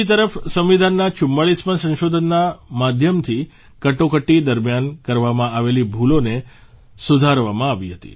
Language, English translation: Gujarati, Whereas, through the 44th Amendment, the wrongs committed during the Emergency had been duly rectified